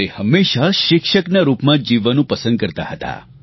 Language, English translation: Gujarati, He preferred to live a teacher's life